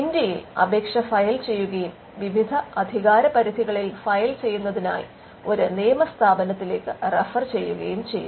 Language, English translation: Malayalam, An Indian application is filed and then referred to a law firm for filing in different jurisdictions